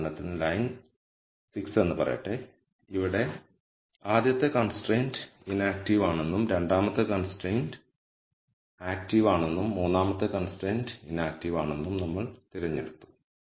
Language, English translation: Malayalam, Let us say row 6 for example, here we have made a choice that the rst constraint is inactive, the second constraint is active and the third constraint is inactive